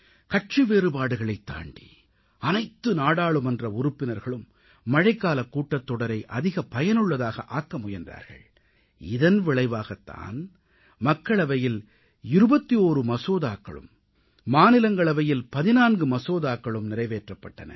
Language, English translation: Tamil, All the members rose above party interests to make the Monsoon session most productive and this is why Lok Sabha passed 21 bills and in Rajya Sabha fourteen bills were passed